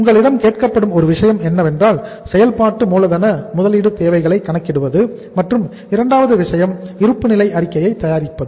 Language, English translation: Tamil, One thing you are asked is that is to calculate the working capital investment requirements and second thing is to prepare the balance sheet also